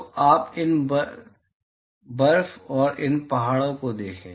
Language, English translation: Hindi, So, you see these snow and these mountains